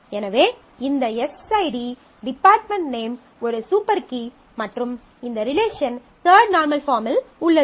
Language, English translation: Tamil, So, this s ID department name is a super key and this relationship is in the third normal form